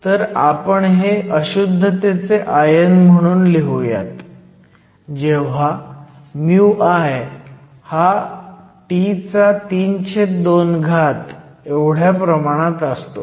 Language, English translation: Marathi, So, I will write these as impurity ions when mu I is proportional T to the 3 over 2